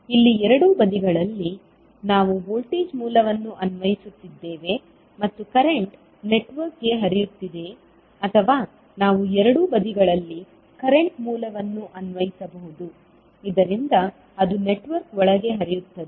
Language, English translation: Kannada, Here at both sides we are applying the voltage source and the current is flowing to the network or we can apply current source at both sides so that it flows inside the network